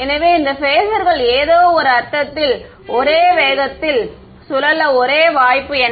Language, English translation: Tamil, So, what is the only possibility for these phasors to rotate at the same speed in some sense